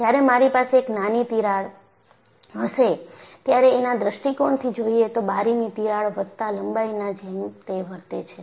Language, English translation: Gujarati, So, when I have a small crack, from an actual point of view, it will behave like a crack plus link of the window